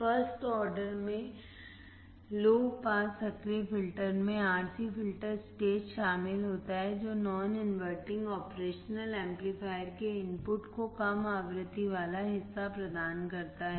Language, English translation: Hindi, The first order low pass active filter consists of RC filter stage providing a low frequency part to the input of non inverting operation amplifier